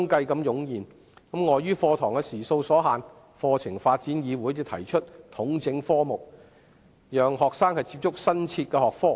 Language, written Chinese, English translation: Cantonese, 鑒於課堂時數所限，課程發展議會便提出統整科目，讓學生能接觸新設學科。, In view of the limited teaching hours the Curriculum Development Council proposed to integrate the subjects to facilitate the access of students to new subjects